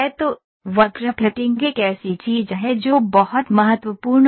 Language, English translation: Hindi, So, curve fitting is something which is very important